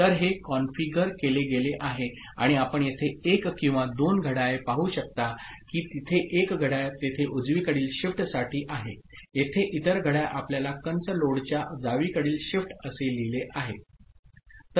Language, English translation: Marathi, So, this is the way it has been configured and you can see one two clocks are there one clock is for right shift that is there, the other clock over here you see it is written left shift within bracket load